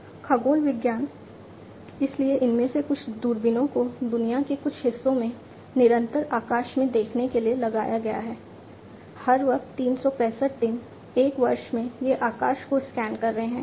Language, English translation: Hindi, Astronomy, you know, so some of these telescopes have been planted in certain parts of the world to look at the sky continuously, round the clock 365 days, a year these are scanning the sky